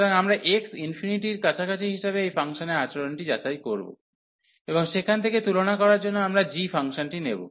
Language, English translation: Bengali, So, we will check the behavior of this function as x approaching to infinity, and from there we will take the function g for the comparison